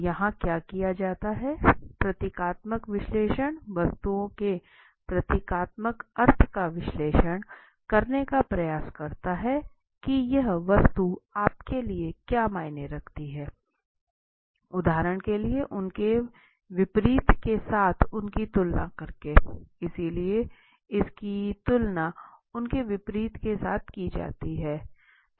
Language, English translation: Hindi, So what is done here is symbolic analysis attempts to analyze the symbolic meaning of the objects what is this object mean to you for example right, by comparing them with their opposites so it is compared against their opposites okay